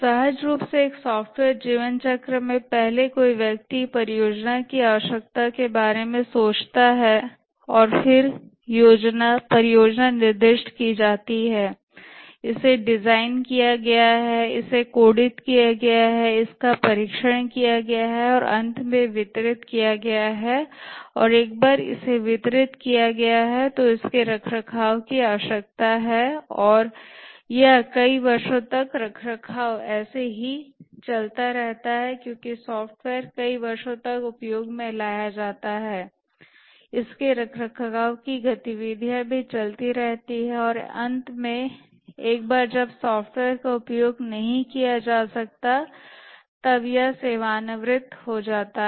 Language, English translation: Hindi, Intuitively the software lifecycle consists of first somebody thinks of the project, the need for the software and then the project is specified it is designed it is coded it is tested finally delivered and once it is delivered and used it needs maintenance and it undergoes maintenance for number of years as the software gets used over many years, maintenance activities proceed